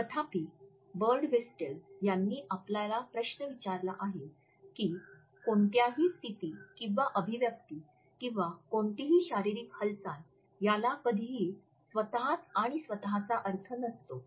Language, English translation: Marathi, However, Birdwhistell has questioned us that “no position or expression or no physical movement ever caries meaning in itself and of itself”